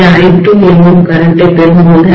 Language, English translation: Tamil, When it is drawing a current of I2, right